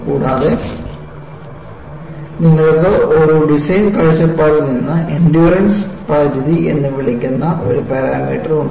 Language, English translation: Malayalam, And, you also have from a design point of view, a convenient parameter called the endurance limit